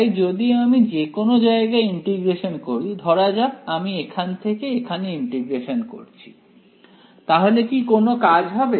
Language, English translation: Bengali, So, if I integrate at any region let us say if I integrate from here to here is there any use